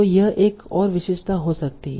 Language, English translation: Hindi, So this can be another feature